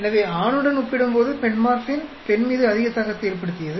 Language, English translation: Tamil, So Metformin was performing much higher effect on female when compared to on the male